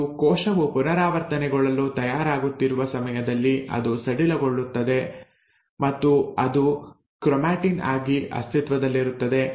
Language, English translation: Kannada, And around the time that the cell is getting ready to replicate, it loosens up and it exists as a chromatin